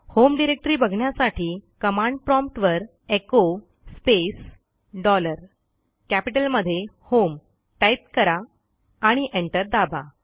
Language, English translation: Marathi, To see the home directory type at the prompt echo space dollar HOME and press enter